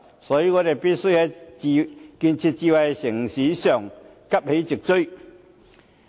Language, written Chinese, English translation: Cantonese, 所以，我們必須在建設智慧城市方面急起直追。, Hence we must rouse to catch up in respect of smart city development